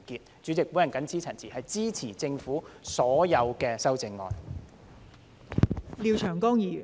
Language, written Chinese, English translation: Cantonese, 代理主席，我謹此陳辭，支持政府的所有修正案。, With these remarks Deputy Chairman I support all the amendments of the Government